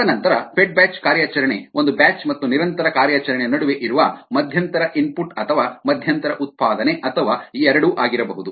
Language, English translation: Kannada, and then the fed batch operation which is somewhere in between a batch and a continuous operation may be ah, ah intermittent input or intermittent output or both